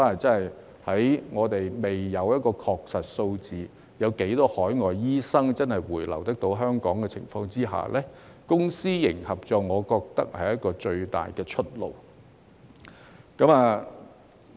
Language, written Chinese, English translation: Cantonese, 在我們未知確實有多少海外醫生會回流香港的情況下，我認為公私營合作是最大的出路。, Given that we do not know how many overseas doctors will actually return to Hong Kong I consider public - private partnership the best way forward